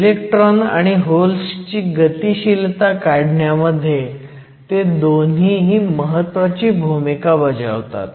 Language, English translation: Marathi, So, both of them play a role in determining the mobility of the electrons and holes